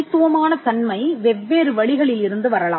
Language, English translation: Tamil, The distinctive character can come from different means